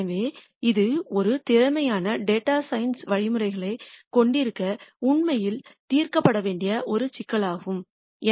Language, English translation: Tamil, So, this is one problem that needs to be solved really to have good efficient data science algorithms